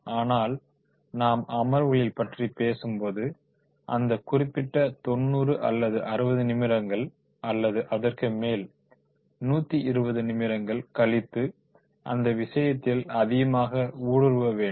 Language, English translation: Tamil, But when we are talking about the sessions, then in the sessions of that particular 90 minutes or the 60 minutes are more than that, then 120 minutes, then that case, that has to be more and more interactive